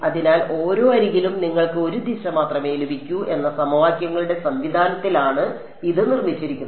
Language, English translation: Malayalam, So, it's built into the system of equations that you will get only one direction for each edge